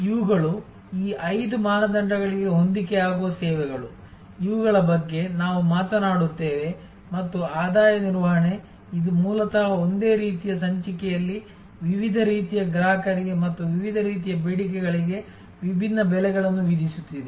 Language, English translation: Kannada, These are services, which match these five criteria, which we are talked about and a revenue management, which is basically charging different prices for different types of customers and different types of demands within the same episode